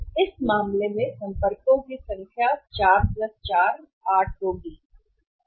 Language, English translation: Hindi, So, in this case number of the contacts will be 4 + 4 that is 8